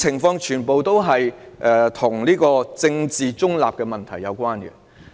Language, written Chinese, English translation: Cantonese, 凡此種種，皆與政治中立的問題有關。, All this concerns the issue of political neutrality